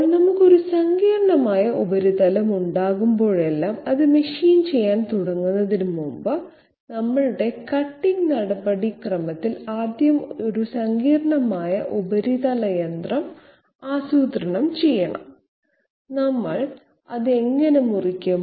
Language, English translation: Malayalam, Now whenever we are having a complex surface, before starting to machine it we have to 1st get this complex surface machining planned in our you know cutting procedure, how are we going to cut it